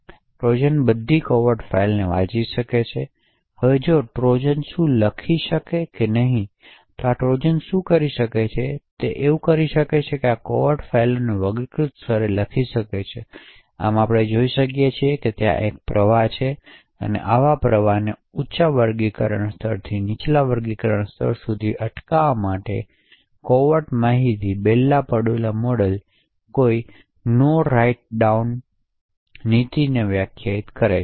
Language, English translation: Gujarati, Therefore the Trojan can read all the confidential files, now what the Trojan can do if there is No Write Down policy what this Trojan could do is that it could write this confidential files to the classified level, thus we see that there is a flow of information from confidential to unclassified, in order to prevent such flows from a higher classification level to a lower classification level the Bell LaPadula model defines the No Write Down policy